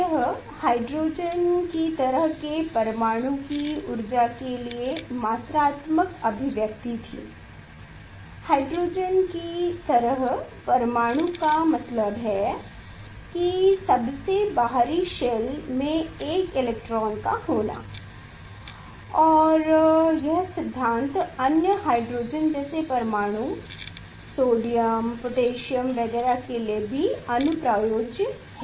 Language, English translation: Hindi, this was the quantitative expression for energy of the hydrogen like atom; hydrogen like atom means the outer most shell will have one electron and this theory is extended for other hydrogen like atom like sodium, potassium etcetera